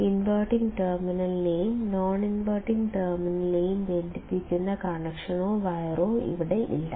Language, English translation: Malayalam, There is no physical connection or wire here that is connecting the inverting and the non inverting terminal